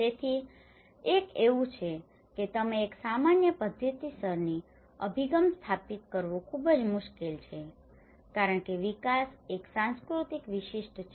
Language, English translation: Gujarati, So, there is one it's very difficult to establish a common methodological approach you because development is a culture specific